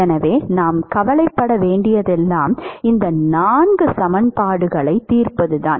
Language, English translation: Tamil, So all we will have to worry about is solving these four equations